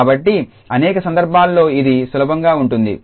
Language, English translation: Telugu, So, it may be easier in many cases